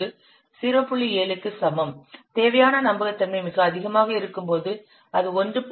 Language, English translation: Tamil, 7 when it is very low, when the required reliability is very high, it should be 1